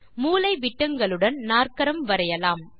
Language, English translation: Tamil, Here a quadrilateral is drawn